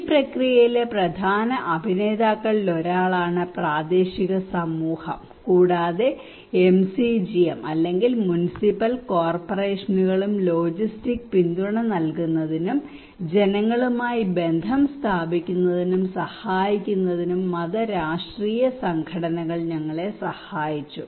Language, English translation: Malayalam, Local community was the key Informant one of the main actor in this process and MCGM or Municipal Corporations also helped us providing logistics support, helping in building rapport with the people, facilitative say religious and political organizations